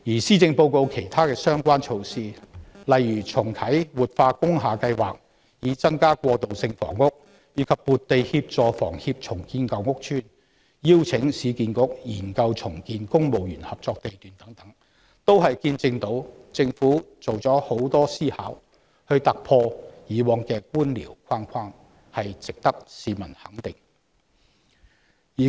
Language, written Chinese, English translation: Cantonese, 施政報告其他相關措施，例如重啟活化工廈計劃以增加過渡性房屋供應、撥地協助香港房屋協會重建舊屋邨，以及邀請市區重建局研究重建公務員合作社地段等，均顯示政府多番思量以求突破過往的官僚框框，值得市民給予肯定。, Other relevant measures presented in the Policy Address such as reactivating the revitalization scheme for industrial buildings to increase the supply of transitional housing allocating land to the Hong Kong Housing Society for redevelopment of aged PRH estates and inviting the Urban Renewal Authority to conduct a study on the redevelopment of sites under the Civil Servants Co - operative Building Society Scheme all indicate the considerable deliberation the Government has made to break away from the previous bureaucratic confine which is worthy of peoples recognition